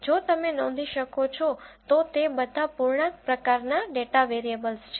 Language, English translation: Gujarati, If you can notice all of them are integer type data variables